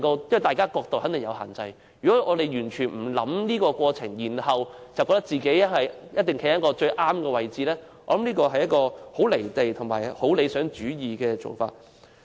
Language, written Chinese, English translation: Cantonese, 因為大家的角度肯定各有限制，如果我們完全不考慮這個過程，覺得自己一定站在最正確的位置，我認為這是很"離地"及理想主義的做法。, Given the definite limitations in our respective angles if we hold that we must be standing in the most correct position giving no regard to this process at all such an act is in my view detached from reality and too idealistic